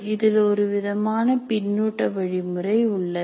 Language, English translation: Tamil, So there is a kind of a feedback mechanism here